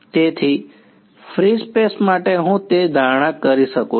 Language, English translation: Gujarati, So, free space I can make that assumption